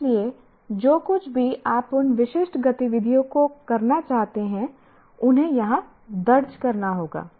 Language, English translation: Hindi, So whatever you want to do, those specific activities will have to be recorded here